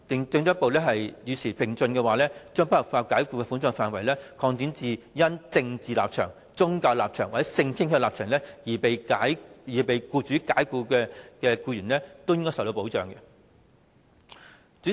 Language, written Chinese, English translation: Cantonese, 政府應與時並進，進一步將不合法解僱的保障範圍，擴展至因政治立場、宗教立場或性傾向立場而被僱主解僱的僱員。, The Government should keep abreast of the times and further extend the scope of unlawful dismissal to cover employees who are dismissed because of their political or religious stances or sexual orientations